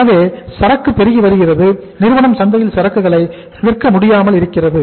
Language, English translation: Tamil, So inventory is mounting, company is not able to sell the inventory in the market